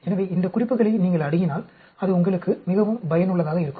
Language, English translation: Tamil, So, if you have access to these references that will be very useful for you